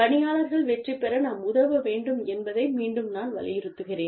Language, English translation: Tamil, Again, i am emphasizing on this point, that we need to help the employees, succeed